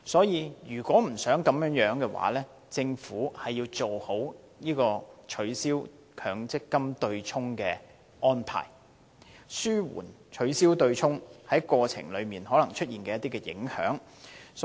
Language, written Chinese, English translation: Cantonese, 如果不想出現這情況，政府需要妥善處理取消強積金對沖機制的安排，以紓緩過程中可能出現的影響。, To pre - empt this scenario the Government needs to make careful arrangements in respect of handling the abolition of the MPF offsetting mechanism so as to ameliorate the effects thus caused in the course